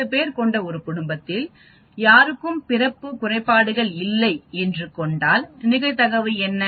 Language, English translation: Tamil, What is the probability that no one in a family of 10 people have the birth defects